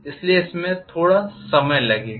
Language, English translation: Hindi, So it is going to take a little while